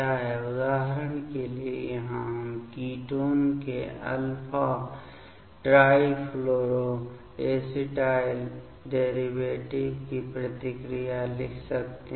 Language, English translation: Hindi, As per example, so here we can write reaction of alpha trifluoro acetyl derivatives of ketone